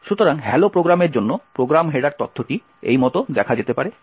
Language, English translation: Bengali, So, the program header information for the hello program could be viewed like this